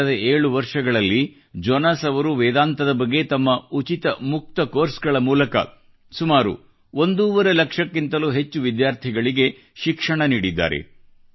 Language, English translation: Kannada, During the last seven years, through his free open courses on Vedanta, Jonas has taught over a lakh & a half students